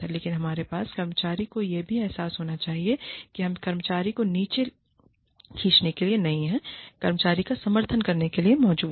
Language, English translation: Hindi, But, we must also have the employee realized, that we are there to support the employee, not to pull the employee down